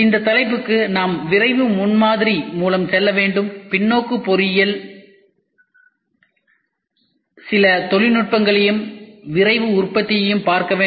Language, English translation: Tamil, For this topic we and we are supposed to go through rapid prototyping and we will see reverse engineering some termino some technologies and Rapid Manufacturing we will see in totality